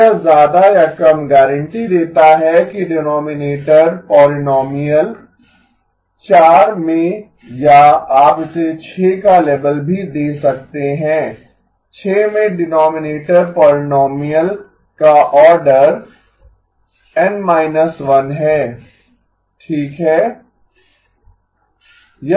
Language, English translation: Hindi, So this more or less guarantees that the denominator polynomial in 4 or in you can also label this as 6, denominator polynomial in 6 has order N minus 1 okay